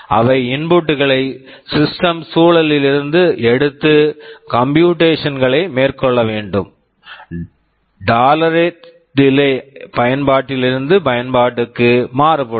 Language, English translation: Tamil, They take inputs from the system environment and should carry out the computations; the tolerable delay varies from application to application